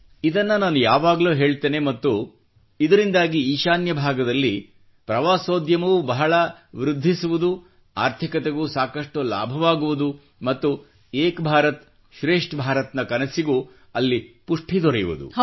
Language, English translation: Kannada, I always tell this fact and because of this I hope Tourism will also increase a lot in the North East; the economy will also benefit a lot and the dream of 'Ek bharat